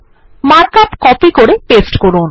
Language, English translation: Bengali, Copy and paste the mark up